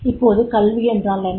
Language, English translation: Tamil, Now, what is education